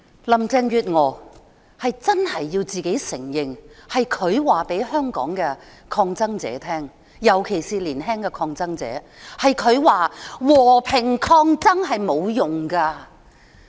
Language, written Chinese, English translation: Cantonese, 林鄭月娥必須承認，是她告訴香港抗爭者，尤其是告訴年輕的抗爭者，和平抗爭沒有用。, Carrie LAM must admit being the one who told Hong Kong protesters particularly young protesters that peaceful resistance was useless